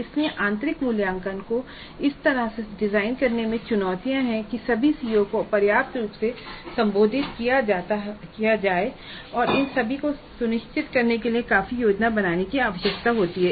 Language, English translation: Hindi, So there are challenges in designing the internal assessment in such a way that all the COs are addressed adequately and ensuring all these requires considerable planning upfront